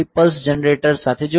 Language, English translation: Gujarati, 3 is connected to a pulse generator